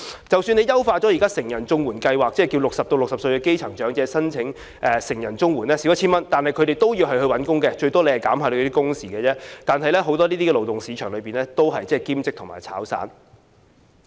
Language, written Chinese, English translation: Cantonese, 即使優化成人綜援計劃，讓60歲至64歲的基層長者申請成人綜援，金額減少 1,000 元，但他們仍然要找工作，最多也只是減少一些工作時數，但在勞動市場中，這些工作大部分都是兼職或"炒散"。, Even if the adult CSSA Scheme is enhanced to allow grass - roots elderly people aged 60 to 64 to apply for adult CSSA which is 1,000 less they still have to find a job . At most only the working hours will be reduced . In the labour market however most of these jobs are part - time or casual ones